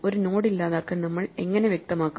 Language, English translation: Malayalam, How do we specify to delete a node